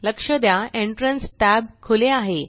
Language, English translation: Marathi, Notice that the Entrance tab is open